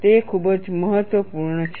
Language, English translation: Gujarati, It is very important